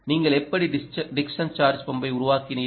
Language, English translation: Tamil, you have actually built a dickson charge pump